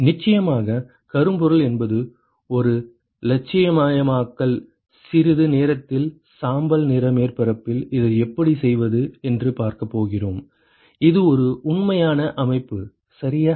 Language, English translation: Tamil, Ofcourse blackbody is an idealization, we are going to see how to do this for a gray surface in a short while, which is a real system ok